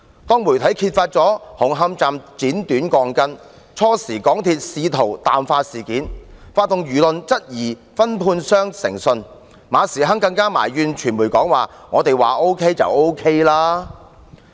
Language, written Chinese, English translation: Cantonese, 當媒體揭發紅磡站剪短鋼筋，港鐵公司最初試圖淡化事件，發動輿論質疑分判商的誠信，馬時亨更埋怨傳媒說"我們說 OK 便 OK 了"。, When the media exposed the cutting short of steel reinforcement bars in the Hung Hom Station MTRCL attempted to downplay it at the very beginning and then discredited the integrity of the subcontractor by mobilizing public opinion . Frederick MA even grumbled to the media that if we say it is OK then it is OK